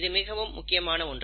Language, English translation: Tamil, Now this is important